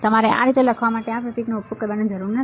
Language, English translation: Gujarati, You do not have to use this symbol write like this